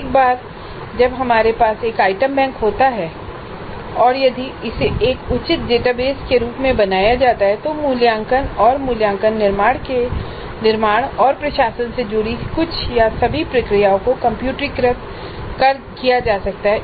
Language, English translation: Hindi, And once we have an item bank and if it is created as a proper database, some are all of the processes associated with creating and administering assessment and evaluation can be computerized